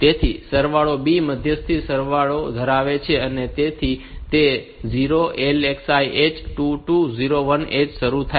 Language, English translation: Gujarati, So, the sum B is holding intermediary sum so that is initialize to 0, LXI H 2 2 0 1 H